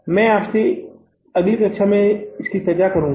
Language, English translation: Hindi, I will discuss with you in the next class